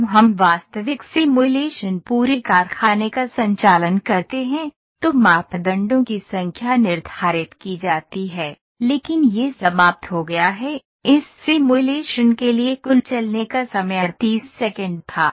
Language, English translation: Hindi, When we conduct actual simulation the whole factory the number of parameters those are set, but this is finished the total running time was 38 seconds for this simulation